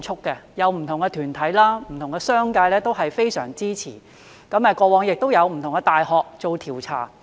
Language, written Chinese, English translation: Cantonese, 不同的團體、商界也非常支持，過往亦有不同的大學做調查。, Various organizations and the business sector are very supportive of e - sports and different universities have conducted researches in this regard in the past